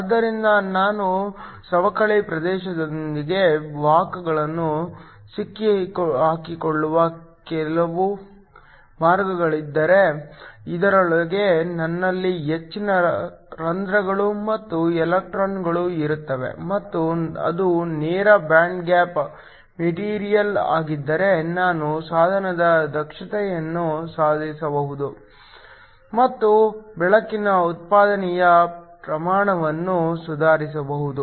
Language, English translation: Kannada, So, If there is some way in which I can trap the carriers within the depletion region, so that I have a majority of holes and electrons within this and if it is a direct band gap material then I can improve the efficiency of device and also improve the amount of light output